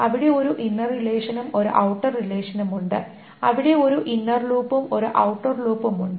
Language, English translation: Malayalam, There is an inner loop and an outer loop